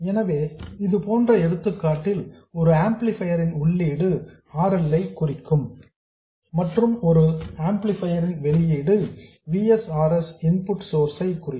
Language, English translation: Tamil, So, the same example holds the input of an amplifier could represent RL and the output of an amplifier could represent the input source Vs RS